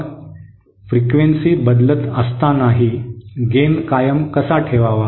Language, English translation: Marathi, So how to keep the gain constant even when the frequency is changing